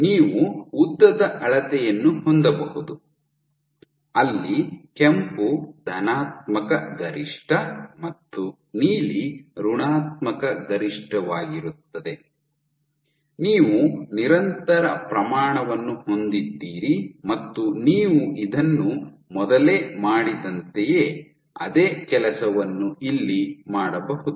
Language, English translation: Kannada, So, you can have a length scale where red is positive max blue is negative max, you have a continuous scale and just like you did this you can do the same thing